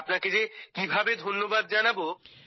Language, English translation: Bengali, And how can I thank you